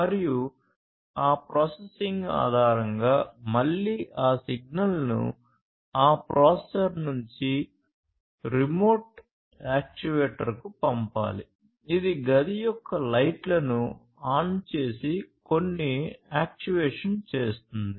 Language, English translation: Telugu, And, based on that processing again that signal has to be sent from that processor to some remote actuator, which will do some actuation and that actuation could be turning on the lights of a room